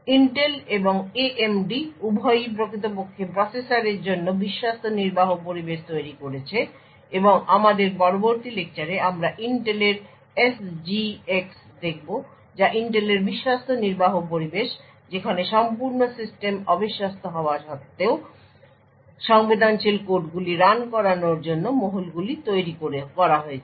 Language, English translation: Bengali, Both Intel and AMD have actually created Trusted Execution Environments in for the processors and in our later lecture we be looking at the Intel’s SGX which is Intel’s Trusted Execution Environment where Enclaves are created in order to run sensitive codes in spite of the entire system being untrusted